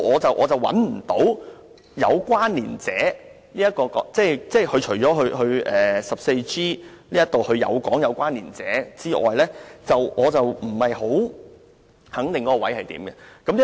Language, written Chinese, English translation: Cantonese, 就此我找不到"有關連者"的確切意思，除了第 14G 條略有說明之外，我不肯定其定義為何。, In this connection I do not think the exact meaning of connected person has been set out in the Bill and apart from the general description contained in the proposed section 14G I am not sure about its concrete definition